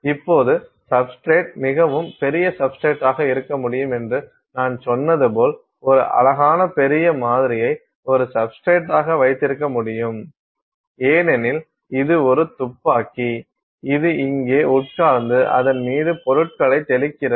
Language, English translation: Tamil, Now, as I said that the substrate can be a fairly large substrate, you can have a pretty large sample as a substrate because, this is a gun which is sitting here and then spraying stuff on it